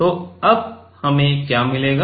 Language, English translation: Hindi, So, now what do we get